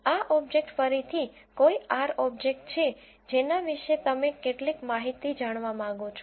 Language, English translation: Gujarati, This object is an any R object about which you want to have some information